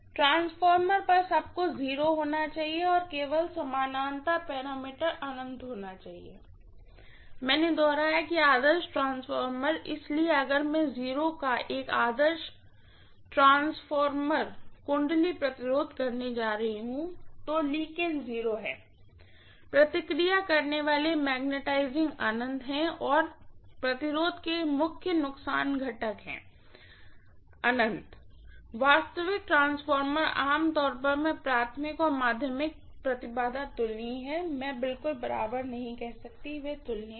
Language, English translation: Hindi, (()) (17:28) They will not be equal, in fact ideal transformer everything should to be 0, ideal transformer everything should be 0 and only the parallel parameter should be infinity, I reiterated, ideal transformer, so if I am going to have an ideal transformer winding resistance of 0, leakages are 0, magnetizing reactants is infinity and core loss components of resistance is infinity, actual transformer generally I am going to have the primary and secondary impedances comparable, I am not saying exactly equal, they are comparable